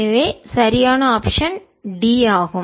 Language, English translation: Tamil, so the correct option is d